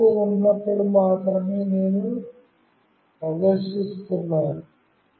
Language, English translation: Telugu, I am only displaying, when there is a change